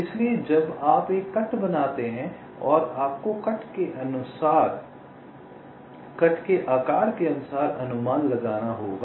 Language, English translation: Hindi, so when you make a cut, you will have to estimate the cut size accordingly, right